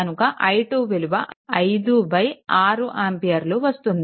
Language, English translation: Telugu, So, i is equal to 5 ampere right